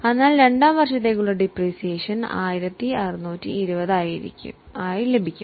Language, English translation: Malayalam, So, we will get 1620 as a depreciation for year 2